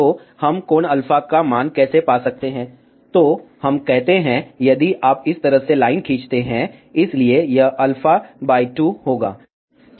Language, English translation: Hindi, So, how we can find the value of alpha, let us say if you draw the line like this, so this will be alpha by 2